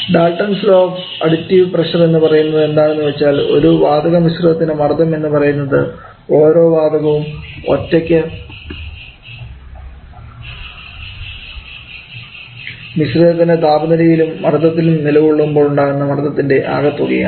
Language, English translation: Malayalam, Now the Dalton is law additive pressures says that the pressure of a gas mixture is equal to the sum of the pressures each gases will exert if it existed alone at the mixture temperature and pressure